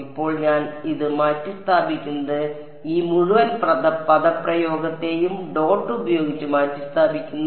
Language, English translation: Malayalam, Now what am I replacing it by I am replacing this by T m dot this whole expression